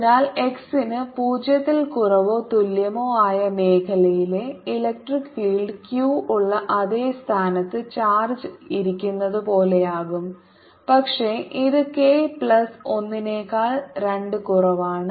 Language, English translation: Malayalam, so electric field in the region for x less than or equal to zero is going to be as if the charge is sitting at the same point where q is, but it's slightly less: two over k plus one